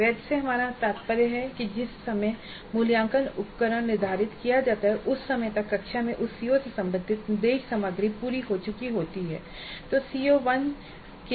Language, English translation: Hindi, By valid what we mean is that the time at which the assessment instrument is scheduled by the time the instructional material related to the COO has been completed in the classroom